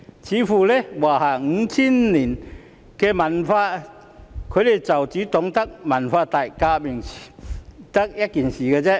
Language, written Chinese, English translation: Cantonese, 似乎在華夏 5,000 年的文化中，他們只懂得文革這件事。, It seems that in the entire culture of China that spans 5 000 years all they know is only the Cultural Revolution